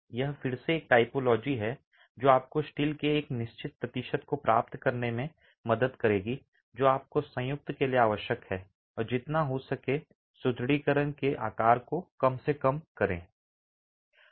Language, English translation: Hindi, Again, this is again a typology that will help you achieve a certain percentage of steel that you require for the joint itself and minimize the size of the reinforcement as much as you can